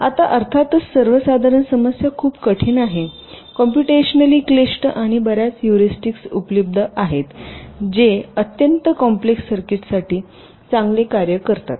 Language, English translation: Marathi, now the general problem of course is very difficult, computational, complex and many heuristics are available which work pretty well for very complex circuits